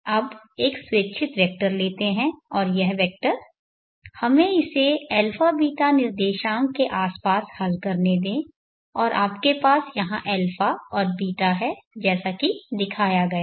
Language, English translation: Hindi, Now you take an arbitrary vector, and this vector let us resolve it around the a beeta coordinates and you have here a and beeta as shown